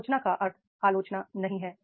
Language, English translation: Hindi, Critically means it does not mean the criticism